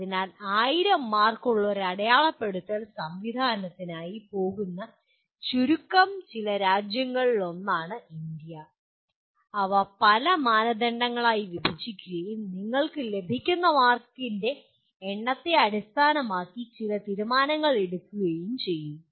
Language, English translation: Malayalam, So possibly India is one of the few countries which goes for this kind of a marking system of having 1000 marks, dividing them into several criteria and based on the number of marks that you get there is some decisions get taken